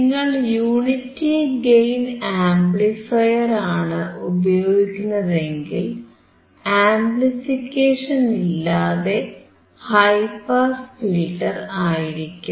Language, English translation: Malayalam, If you use unity gain amplifier, then it is high pass filter without amplification